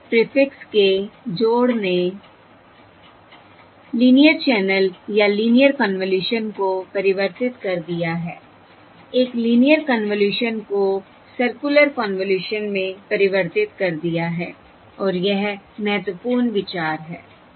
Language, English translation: Hindi, Addition of cyclic prefix has converted the linear channel or linear convolution has converted a linear convolution and otherwise a linear convolution to a circular convolution, and that is the important point